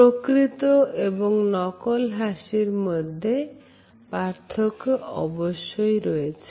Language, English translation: Bengali, They further described the difference between the genuine and fake smiles